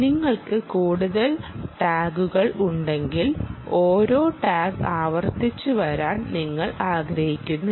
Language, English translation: Malayalam, when you have a large population of tags, you dont want the same tag to be repeatedly coming back